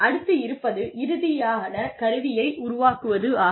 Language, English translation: Tamil, And then, develop a final instrument